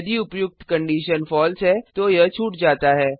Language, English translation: Hindi, If the above condition is false then it is skipped